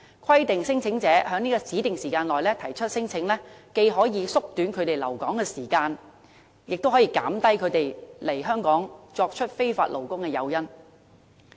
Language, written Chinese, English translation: Cantonese, 規定聲請者在指定時間內提出聲請，既可縮短他們的留港時間，也可減少他們來港當非法勞工的誘因。, Providing a specified time frame for lodging claims can help shorten claimants stay in Hong Kong and dampen their incentive to come and work as illegal workers in the territory